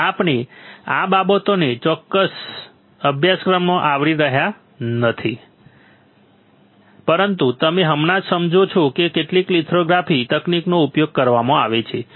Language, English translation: Gujarati, We are not covering these things in this particular course, but you just understand that some lithography technique is used